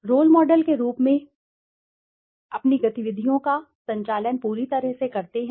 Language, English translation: Hindi, Serve as role models by conducting their own activities impeccably